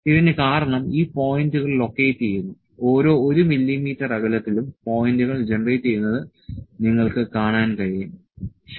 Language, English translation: Malayalam, It has because these points are located, at each 1 mm distance, you can see the points are generated, ok